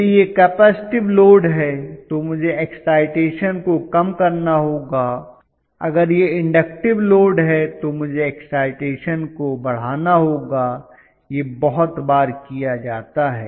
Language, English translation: Hindi, If it is capacitive load, I have to reduce the excitation, if it is inductive load I have to increase the excitation, this is done very repeatedly